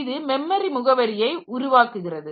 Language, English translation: Tamil, So, these are the memory addresses